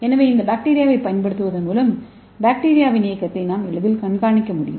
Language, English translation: Tamil, So by using this bacteria we can easily monitor the motility of bacteria